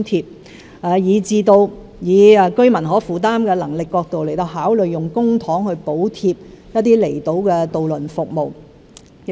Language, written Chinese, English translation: Cantonese, 此外，考慮到居民的可負擔能力，我們將會動用公帑補貼一些離島渡輪服務。, In addition considering the affordability of residents we will use public funds to subsidize some outlying island ferry services